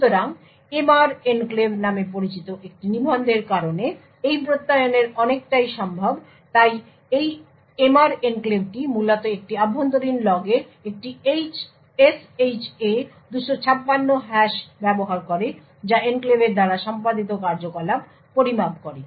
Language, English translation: Bengali, So a lot of this Attestation is possible due to a register known as the MR enclave, so this MR enclave essentially uses a SHA 256 hash of an internal log that measures the activity done by the enclave